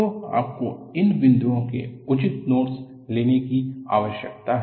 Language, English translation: Hindi, So, you need to take proper notes of these points